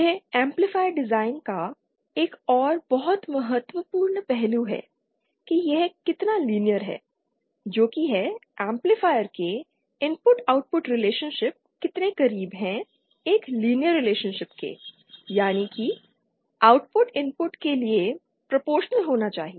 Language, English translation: Hindi, This is another very important aspect of the amplifier design how linear it is that is how close the input output relationship of the amplifier are towards are to a linear relationship that is output should be proportional to the input